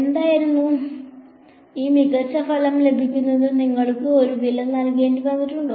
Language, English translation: Malayalam, What was, did you have to pay a price for getting this very good a result